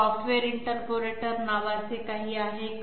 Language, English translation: Marathi, Is there anything called software interpolator